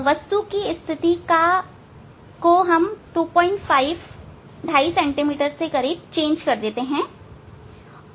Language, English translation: Hindi, Change the position of the object by 2